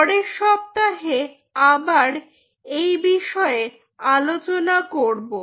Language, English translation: Bengali, next week we will continue this story